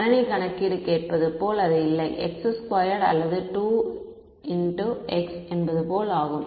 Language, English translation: Tamil, It is not like asking the computer calculate x square or 2 into x ok